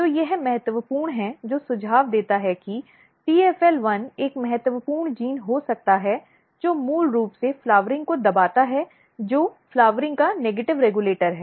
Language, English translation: Hindi, So, this is important which suggest that TFL1 could be one important gene which basically repress the flowering which is a negative regulator of flowering